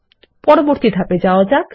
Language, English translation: Bengali, And proceed to the next step